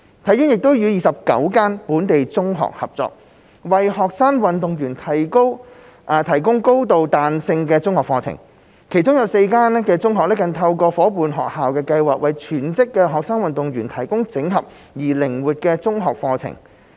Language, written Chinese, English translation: Cantonese, 體院亦已與29間本地中學合作，為學生運動員提供高度彈性的中學課程，其中4間中學更透過夥伴學校計劃為全職學生運動員提供整合而靈活的中學課程。, HKSI has also partnered with 29 local secondary schools to provide highly flexible secondary curriculum for student athletes . Four of these secondary schools offer integrated and flexible secondary school curriculum for full - time student athletes through the Partnership School Programme